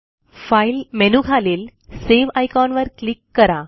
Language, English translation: Marathi, Click on the Save icon that is below the File menu